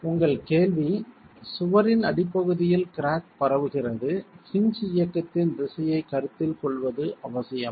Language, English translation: Tamil, Your question is as cracking propagates at the base of the wall, is it essential to consider the direction of the movement of the hinge